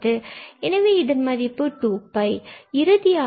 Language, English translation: Tamil, So, that is the sum